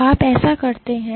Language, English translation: Hindi, So, how do you do so